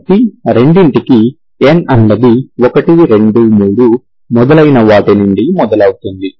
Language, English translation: Telugu, So for both n is running from 1, 2, 3 and so on